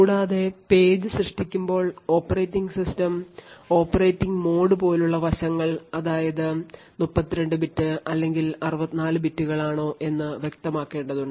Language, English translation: Malayalam, Also, while creating the page the operating system would need to specify other aspects such as the operating mode whether it is 32 bit or 64 bits